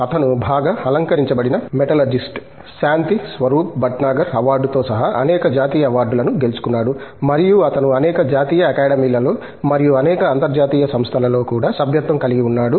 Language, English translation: Telugu, He is a highly decorated metallurgist, has won many national awards including the Shanthi Swarup Bhatnagar Award, and he is also the fellow of several national academies and also in many international organizations